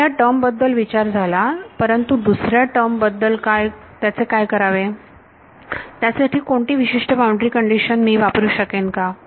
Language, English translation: Marathi, So, this term has been dealt with, what about the second term, what should I do about the second term, is there any particular boundary condition I can apply there